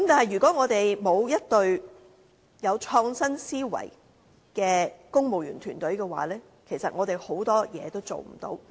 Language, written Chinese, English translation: Cantonese, 如果我們沒有一隊具創新思維的公務員團隊的話，其實很多事情也做不到。, In the absence of an innovative team of civil servants many tasks are out of our reach indeed